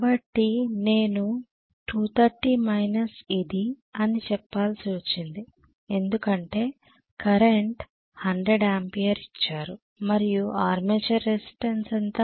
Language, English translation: Telugu, So I had to say 230 minus whatever it is the current because 100 ampere I suppose and how much was the armature resistance